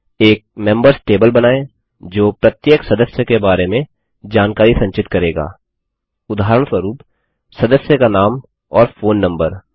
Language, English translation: Hindi, Create a Members table that will store information about each member, for example, member name, and phone number